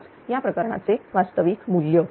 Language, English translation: Marathi, 005 real values for this case